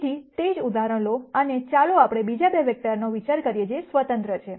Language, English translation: Gujarati, So, take the same example and let us consider 2 other vectors, which are independent